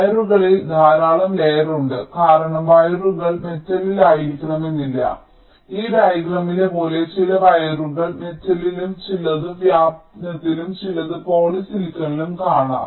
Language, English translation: Malayalam, there are many layers of wires because wires are not necessarily on metal, like in this diagram, as you can see, some of the wires are on metal, some are on diffusion and some are on poly silicon